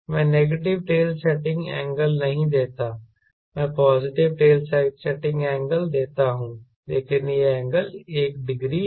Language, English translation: Hindi, right, i do not give negative tail setting angle, i give positive tail setting angle, but this angle is one degree